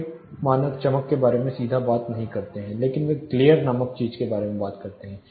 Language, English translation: Hindi, Many standards do not talk directly about brightness, but they talk about something called glare